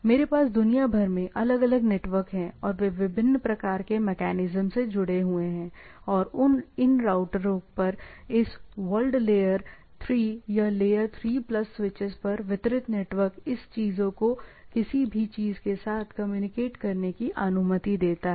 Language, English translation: Hindi, So, I have different networks across the world and they are connected with different type of mechanisms and these routers across this world layer 3 or layer 3 plus switches distributed over the network allows these things to communicate with communicate anything to the anything